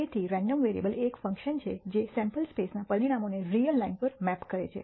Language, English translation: Gujarati, So, a random variable is a function which maps the outcomes of a sample space to a real line